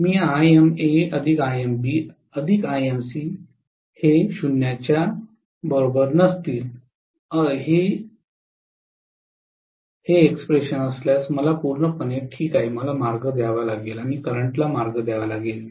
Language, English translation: Marathi, I am perfectly fine if Ima plus Imb plus Imc is not equal to 0 I have to provide a path and to provide a path for the current